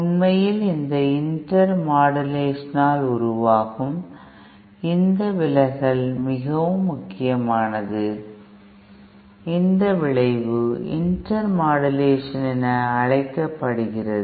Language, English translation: Tamil, In fact, so significant is this distortion produced by this effect this intermodulation, this effect is known as intermodulation